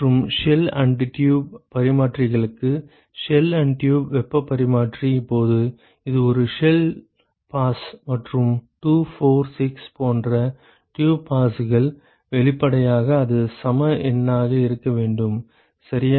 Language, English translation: Tamil, And for shell and tube heat exchangers, for shell and tube heat exchanger, now, this is for one shell pass and 2, 4, 6 etcetera tube passes; obviously, it has to be even number, ok